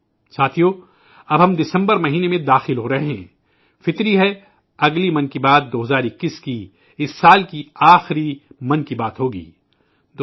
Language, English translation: Urdu, It is natural that the next 'Mann Ki Baat' of 2021 will be the last 'Mann Ki Baat' of this year